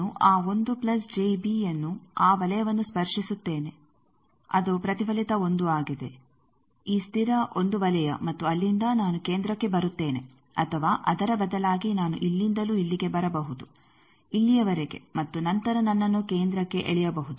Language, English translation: Kannada, I will touch that 1 plus j b that circle it is reflected 1 this constant 1 circle and from there I will come to the centre or I can instead of that, I can also from here come like here up to this and then I can be pulled to the centre